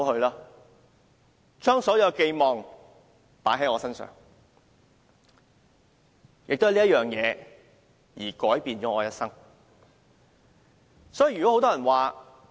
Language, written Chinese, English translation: Cantonese, 他們將所有希望寄託在我身上，因而改變了我的一生。, They pinned all their hopes on me and it changed my whole life